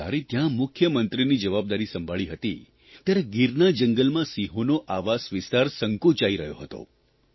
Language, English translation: Gujarati, I had the charge of the Chief Minister of Gujrat at a period of time when the habitat of lions in the forests of Gir was shrinking